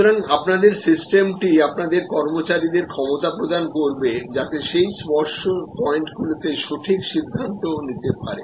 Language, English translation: Bengali, So, your system is to empower your employees to be able to have discretionary power at those touch points